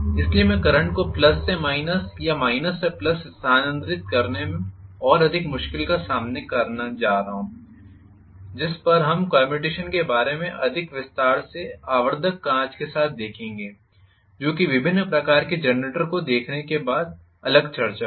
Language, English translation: Hindi, So, I am going to have somewhat more difficulty in terms of changing over the current from plus to minus or minus to plus which we would look with the magnifying glass in greater detail about commutation that will be the next discussion after looking at different type of generators